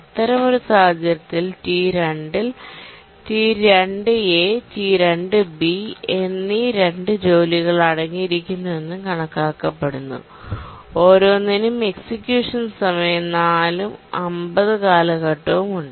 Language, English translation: Malayalam, In that case, what we do is we consider that T2 consists of two tasks, T2A and T2B, each one having execution time 4 and period of 50